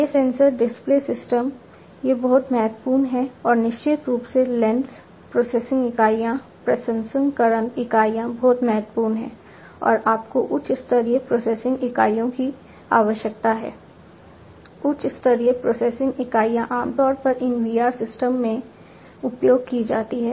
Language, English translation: Hindi, These sensors, the display system, these are very important and of course, the lenses the processing units processing units are very important and you know you need to have high end processing units high end very high end processing units are typically used in these VR systems